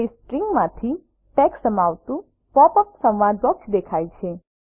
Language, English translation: Gujarati, It shows a pop up dialog box containing text from the string